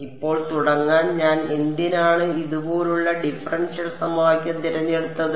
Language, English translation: Malayalam, Now why I have chosen the differential equation like this to start off with